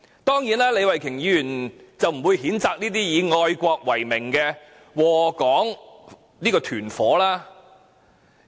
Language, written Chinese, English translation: Cantonese, 當然，李慧琼議員不會譴責這些以愛國為名而禍港為實的"團夥"。, Of course Ms Starry LEE is not going to condemn these gangs which are patriotic in name but detrimental to Hong Kong in reality